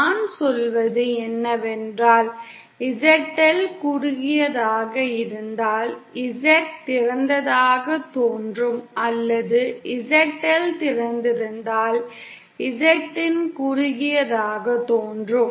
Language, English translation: Tamil, What I mean is if ZL is the short then Z in will appear to be as an open or if ZL is an open then Z in will appear to be a short